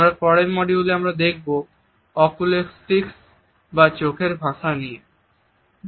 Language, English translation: Bengali, In our next module we will look at the oculesics, the language of the eye contact